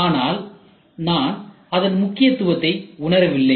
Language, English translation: Tamil, So, I did not realise the importance